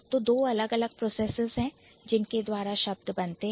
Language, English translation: Hindi, So, there are two different processes by which the words are formed